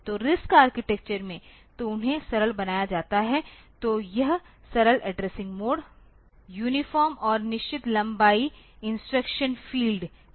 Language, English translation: Hindi, So, in RISC architecture so they are made simple so; it is simple addressing mode, uniform and fixed length instruction fields